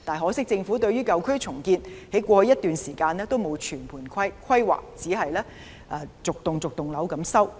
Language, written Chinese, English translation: Cantonese, 可惜在過去一段時間政府對於舊區重建沒有全盤規劃，只是逐幢樓宇收購。, Unfortunately the Government failed to take a comprehensive approach to this for some time in the past